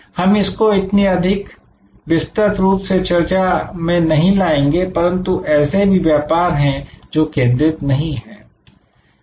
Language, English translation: Hindi, We did not discuss it in that detail, but there are businesses which are unfocused